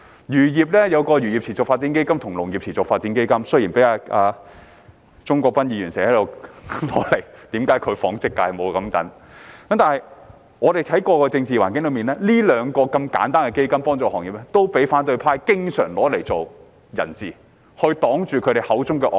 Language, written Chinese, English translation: Cantonese, 漁農業有一個漁業持續發展基金和農業持續發展基金——雖然鍾國斌議員經常批評為何其所屬的紡織界沒有類似基金——但我們看回過去的政治環境，這兩個如此簡單、協助行業的基金也經常被反對派拿作人質，擋住他們口中的"惡法"。, The agriculture and fisheries industry has a Sustainable Fisheries Development Fund and a Sustainable Agricultural Development Fund Mr CHUNG Kwok - pan often grumbles why there is no similar fund for his textile industry . But looking back on the past political environment these two simple funds which seek only to assist the industry have been hijacked by the opposition camp and used as their excuse to block their so - called evil laws